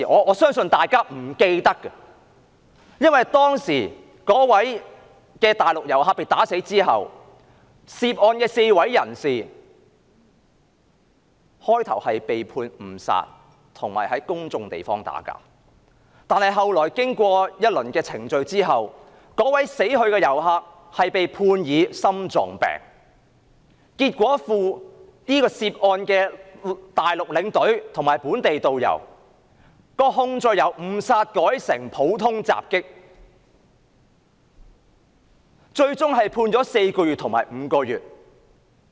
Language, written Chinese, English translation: Cantonese, 我相信大家可能不記得，那位內地遊客被毆打致死，涉案的4名人士最初被判誤殺及在公眾地方打鬥，後來經過一輪程序，死去的遊客被裁定心臟病致死，結果涉案的內地領隊及本地導遊的控罪由誤殺改為普通襲擊，最終被判監禁4個月及5個月。, I believe Members may not remember that after the Mainland visitor was beaten to death the four defendants were initially charged for manslaughter and fighting in public . After the completion of some proceedings it was found that the visitor died of heart attack . As a result the Mainland tour escort and the local tourist guide were charged for common assault instead and eventually sentenced to imprisonment of four to five months